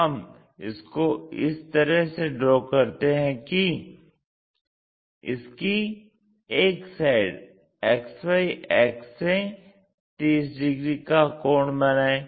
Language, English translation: Hindi, We draw it in such a way that one of the sides makes 30 degrees angle